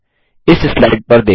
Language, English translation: Hindi, Look at this slide